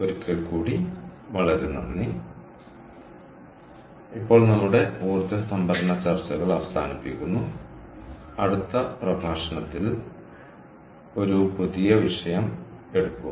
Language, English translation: Malayalam, that times have now truly wraps up our energy storage discussions, and in the next lecture we will take up a new topic